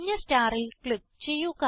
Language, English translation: Malayalam, Click on the yellow star